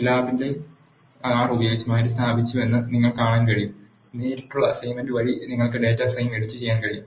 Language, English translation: Malayalam, You can see that the Scilab has been replaced with the R, this is how you can edit the data frame by direct assignment